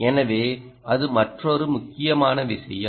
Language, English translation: Tamil, that is the most important thing